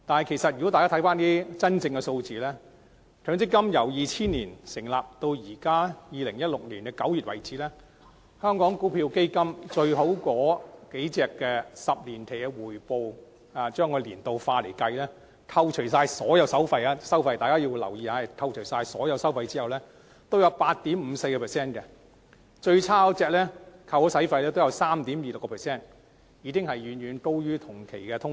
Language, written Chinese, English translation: Cantonese, 但是，如果大家看看一些真實的數字，強積金自2000年成立至2016年9月為止，表現最好的若干香港股票基金的10年期回報，若以年率化計算，在扣除所有收費後——大家留意是扣除所有收費後——也有 8.54%， 而最差也有 3.26%， 遠高於同期的通脹。, Nevertheless let us look at some actual figures . From the establishment of MPF in 2000 to September 2016 the 10 - year returns of certain best performing Hong Kong equity funds calculated in annualized terms and after deduction of all fees―note that after all fees are deducted―amounted to 8.54 % with the worst being 3.26 % far higher than inflation in the same period